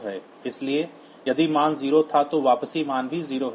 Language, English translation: Hindi, So, if the value was 0, the return valve is also 0